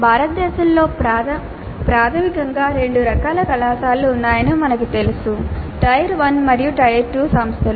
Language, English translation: Telugu, Now we know that in India basically there are two types of colleges, tier one and tire two institutions